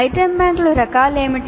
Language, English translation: Telugu, What are the types of item banks